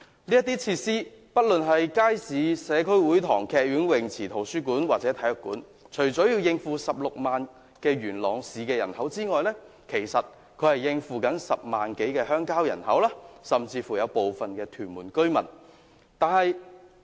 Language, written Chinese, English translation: Cantonese, 這些設施不論是街市、社區會堂、劇院、泳池、圖書館或體育館，除了要應付16萬元朗市人口外，還要應付10萬多的鄉郊人口甚至部分屯門居民。, These facilities which include market community hall theatre swimming pool library or sports centre not only serve the needs of the 160 000 Yuen Long residents but also have to cope with the needs of 100 000 - odd rural population and even some Tuen Mun residents